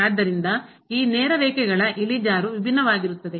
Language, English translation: Kannada, So, the slope of these straight lines are different